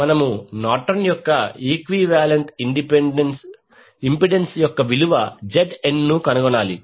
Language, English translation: Telugu, We need to find out value of Norton’s equivalent impedance that is Zn